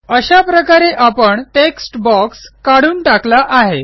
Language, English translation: Marathi, There, we have removed the text box